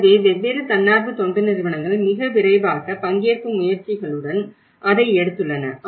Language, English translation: Tamil, So, that is where different NGOs have taken that very quickly with great participatory efforts